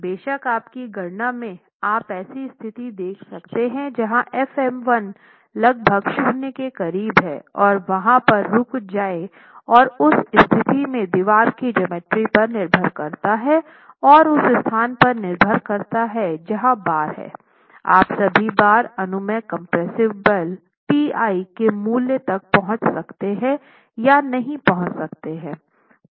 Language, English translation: Hindi, Of course in your calculations you can look at a situation where FM1 is almost close to zero and stopped there and at that situation depending on the geometry of the wall and depending on the location where the bars are, all the bars may or may not reach the value of permissible compressive force, T